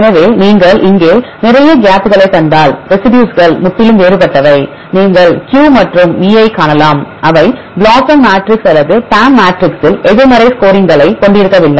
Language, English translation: Tamil, So, if you see here lot of gaps right the residues are totally different you can see Q and V right they are not they have negative score in the BLOSUM matrix or the PAM matrix